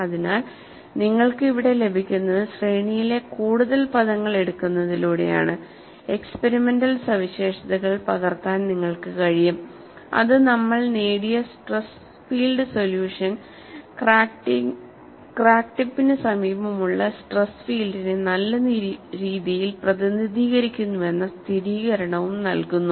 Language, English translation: Malayalam, So, what you get here is, by taking more number of terms in the series, you are in a position to capture the experimental features, which also gives a confirmation, that the stress field solution what we have obtained, indeed models the stress field in the near vicinity of the crack tip